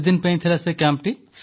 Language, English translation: Odia, How long was that camp